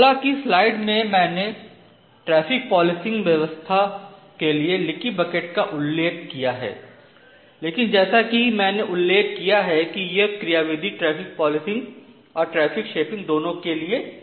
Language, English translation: Hindi, So, although in the slides I have mentioned that leaky bucket for traffic policing, but as I have mentioned the ultimate mechanism is a combination of traffic policing and traffic shaping